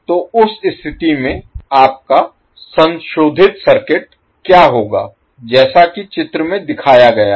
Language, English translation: Hindi, So in that case what will happen your modified circuit will look like as shown in the figure